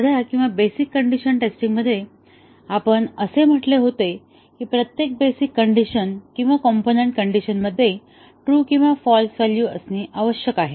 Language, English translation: Marathi, In the simple or basic condition testing, we had said that each of the basic condition or the component conditions must take true and false values